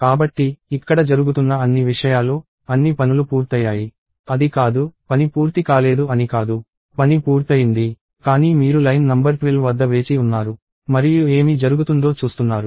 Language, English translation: Telugu, So, all the things that were happening here; all the work got done; it is not that, the work did not get done; the work got done; but you are waiting at line number 12 and seeing what is happening